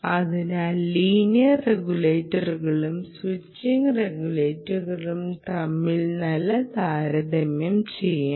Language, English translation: Malayalam, you know, make a nice comparison between linear regulators and switching regulators